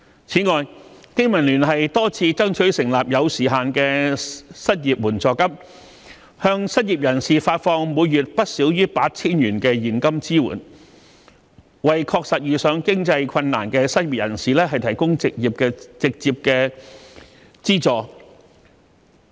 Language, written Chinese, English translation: Cantonese, 此外，香港經濟民生聯盟多次爭取成立有時限的失業援助金，向失業人士發放每月不少於 8,000 元的現金支援，為確實遇上經濟困難的失業人士提供直接資助。, Moreover the Business and Professionals Alliance for Hong Kong BPA has made repeated attempts to strive for the setting up of a time - limited unemployment assistance to provide a monthly cash allowance of not less than 8,000 to the unemployed so as to offer direct subsidy to the unemployed who are facing genuine financial difficulties